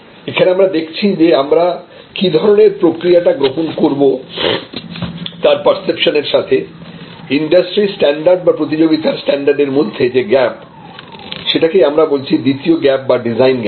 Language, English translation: Bengali, So, this gap between industry standard or competitive standard and your perception of what you want the process that you are setting up is the second gap, what we called design gap